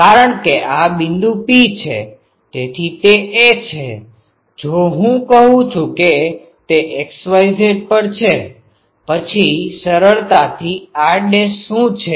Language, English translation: Gujarati, Because this point P; so it is a; if I say it is at x y Z; then easily what is r dash